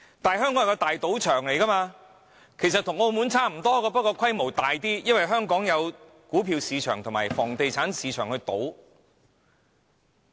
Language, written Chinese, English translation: Cantonese, 香港其實與澳門無異，是一個賭場，只是規模更大而已，因為香港有股票市場及房地產市場供人賭博。, Hong Kong is no different from Macao both are casinos . The only variation is the Hong Kong casino is bigger in scale . In Hong Kong the stock market and property market are open for betting